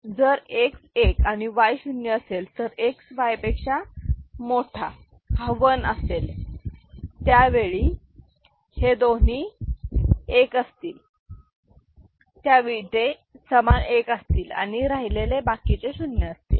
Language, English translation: Marathi, X is equal to 1 and Y is equal to 0, so, X greater than Y is 1 and when both of them are 1 that is they are equal, so other two are 0; is it fine